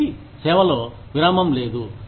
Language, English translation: Telugu, So, no break in service